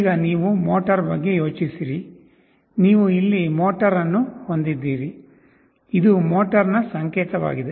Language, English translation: Kannada, Now you think of the motor, you have the motor out here; this is the symbol of a motor